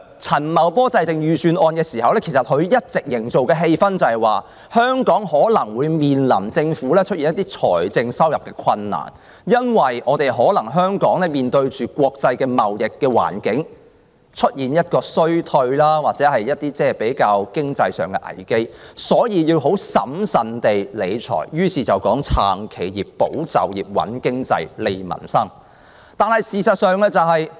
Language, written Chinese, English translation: Cantonese, 陳茂波在制訂預算案時，一直營造的氣氛是，香港政府可能會面臨財政困難，香港可能會因國際貿易環境衰退而遇上經濟危機，所以他要很審慎理財，於是提出："撐企業、保就業、穩經濟、利民生"。, When Paul CHAN was preparing the Budget he tried to create an atmosphere that the Hong Kong Government might face financial difficulties and Hong Kong might run into financial troubles owing to the slowdown in international trade . Hence he had to manage the public finances prudently and proposed to support enterprises safeguard jobs stabilize the economy and strengthen livelihoods